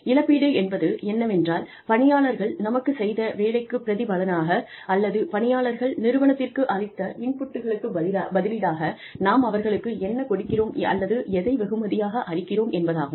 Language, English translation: Tamil, Compensation means, how we reward, or, what we give to our employees, in turn for, what ought in return for the work, that they do for us, in return for the inputs, that they provide to the organization